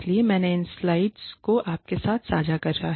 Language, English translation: Hindi, So, I will share these slides with you ok